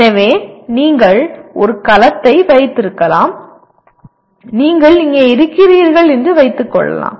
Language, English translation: Tamil, So you can have a cell let us say you are here